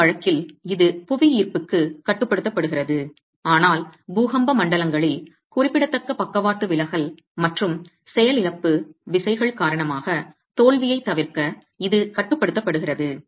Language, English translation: Tamil, In this case it is being controlled for gravity but in earthquake zones it is controlled to avoid significant lateral deflection and failure due to the inertial forces themselves